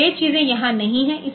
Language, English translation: Hindi, So, those things are not there